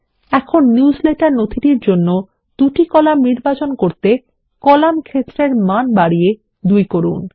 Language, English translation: Bengali, We will select two columns for the newsletter document by increasing the column field value to 2